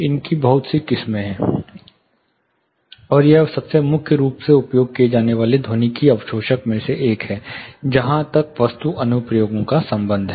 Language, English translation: Hindi, So, there is lot of varieties, and this is one of the most predominantly used acoustic absorber as far architectural applications are concerned